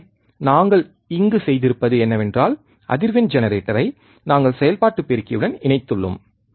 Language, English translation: Tamil, So, what we have done here is, we have connected the frequency generator to the operational amplifier